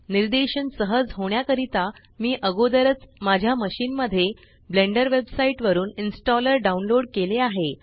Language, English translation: Marathi, For ease of demonstration, I have already downloaded the installer from the Blender website onto my machine